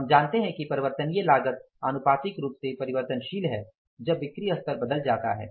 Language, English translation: Hindi, Relevant range means we know that variable cost is proportionally change when the sales level change